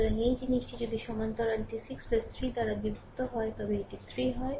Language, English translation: Bengali, So, this thing is if parallel is 6 into 3 plus divided by 6 plus 3